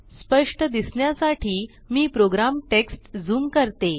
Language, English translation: Marathi, Let me zoom the program text to have a clear view